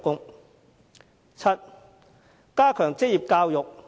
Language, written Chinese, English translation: Cantonese, 第七，加強職業教育。, Seventh enhancing vocational education